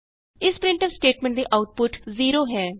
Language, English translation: Punjabi, This printf statements output is 0